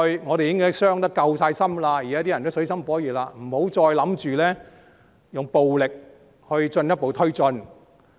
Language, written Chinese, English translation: Cantonese, 我們已經傷得夠深，現在大家也處於水深火熱之中，不要企圖用暴力作進一步推進。, We have suffered serious harms and we are now in troubled waters please stop trying to resort to violence to push further